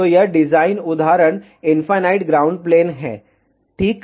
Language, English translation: Hindi, So, this design example is for infinite ground plane ok